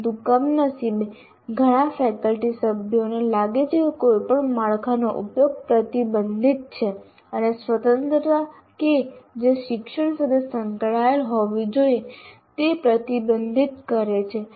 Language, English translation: Gujarati, Many faculty members feel use of any framework is restrictive and restricts freedom that should be associated with learning